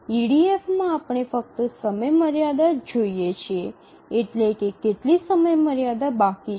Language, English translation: Gujarati, In EDF we look at only the deadline, how much deadline is remaining